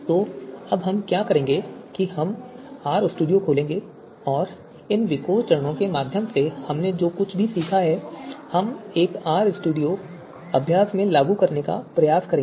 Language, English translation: Hindi, So what we will do now we will open R studio and whatever we have learned through these VIKOR steps we will try to implement in an R studio exercise